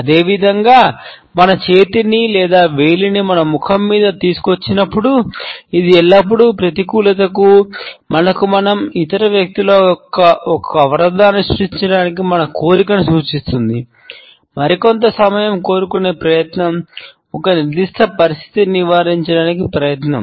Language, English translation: Telugu, Similarly, we find that when we bring our hand or our finger across our face, etcetera, it is always an indication of a negativity, of our desire to create a barrier between us and other people an attempt to seek some more time, an attempt to avoid a particular situation